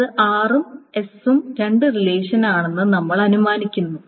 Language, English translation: Malayalam, So we are assuming it's R and S are the two relations